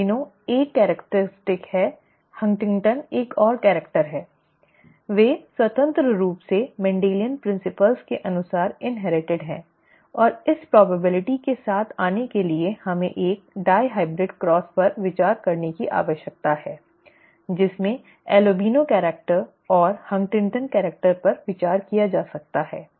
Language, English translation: Hindi, Albino is 1 characteristic, Huntington is another character, they are independently inherited according to Mendelian principles and to come up with the probability we need to consider a dihybrid cross in which albino character and HuntingtonÕs character are considered